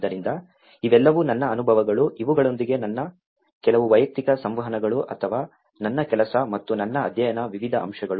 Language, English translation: Kannada, So, these are all my, some of my personal interactions with these or various other various aspects of my work and as well as my study